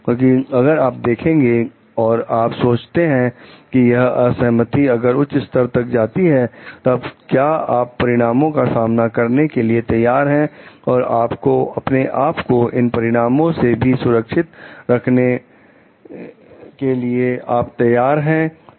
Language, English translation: Hindi, Because, if you just see if you are thinking of like if this disagreement may go to certain high level, then though you can you should be ready to face any consequences, and you should be ready to safeguard yourself against these consequences also